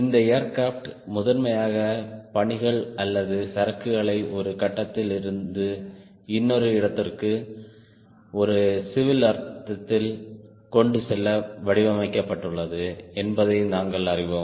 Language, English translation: Tamil, we have, right, we also know this aircraft is primarily designed to carry passenger or a cargo from one point to another in a civil sense, right